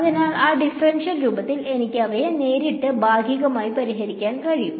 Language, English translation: Malayalam, So, I can solve them directly in partial in that differential form